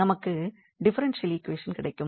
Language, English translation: Tamil, So, we will get this differential equation a simple differential equation